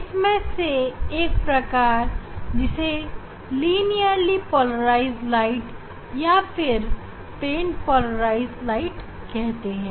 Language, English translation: Hindi, This one type is called the linearly polarized light or plain polarized light linearly polarized light or plain polarized light